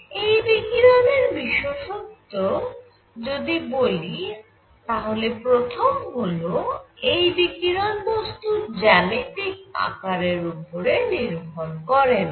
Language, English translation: Bengali, Now the properties of this radiation is number one the nature of radiation does not depend on the geometric shape of the body